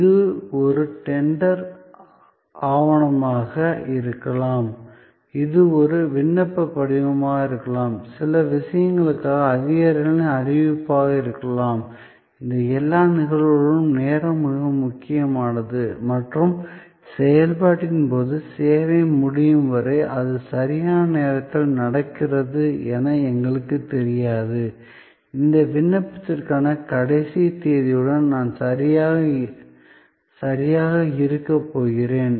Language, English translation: Tamil, It could be a tender document, it could be an application form, it could be a declaration to authorities for certain things, in all these cases it is time critical and during the process, till the service is completed, we do not know is it happening on time, am I going to be ok with the last date for this application